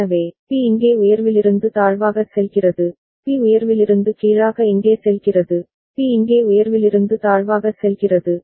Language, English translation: Tamil, So, B goes from high to low over here, B goes from high to low here, B goes from high to low over here